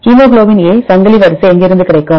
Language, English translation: Tamil, where shall we get the hemoglobin A chain sequence